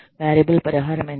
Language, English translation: Telugu, How much is the variable compensation